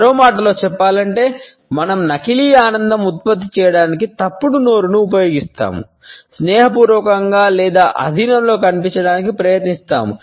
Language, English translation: Telugu, In other words, we are used to produce false mouths of fake enjoyment try to appear friendly or subordinate